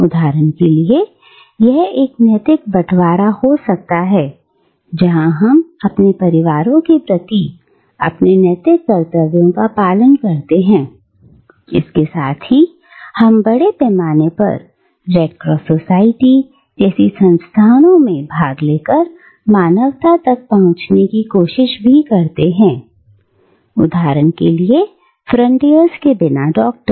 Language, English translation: Hindi, For instance, this can be a moral sharing, where we perform our moral duties towards our families, while at the same time we try to reach out to humanity at large through participating in institutions like, the Red Cross Society, and institutions like, for instance, Doctors without Frontiers